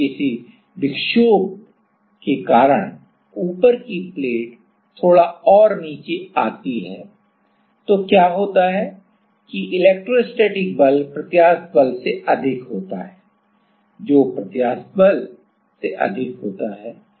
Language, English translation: Hindi, If because of some perturbation the top plate goes down even little more, then what happens is then the elastic electrostatic force is more than the electrostatic force is more than the elastic force right